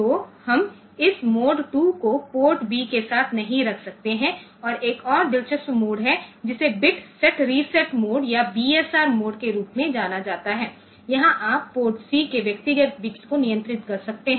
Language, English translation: Hindi, So, we cannot have this mode 2 with port B and there is another interesting mode which is known as bit set reset mode or BSR mode, here you can control the individual bits of port C ok